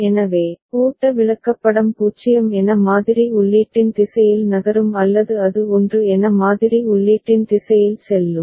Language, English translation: Tamil, So, the flow chart will move either in the direction of input sampled as 0 or it will go in the direction of input sampled as 1